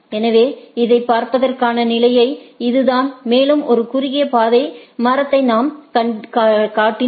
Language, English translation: Tamil, So, this is the standard way of looking at it and if we construct that shortest path tree per say